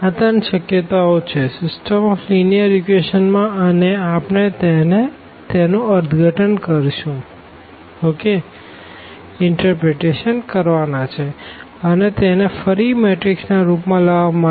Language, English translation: Gujarati, So, these are the 3 possibilities for system of linear equations we will also and we will also look for the interpretation; so again getting back to this matrix form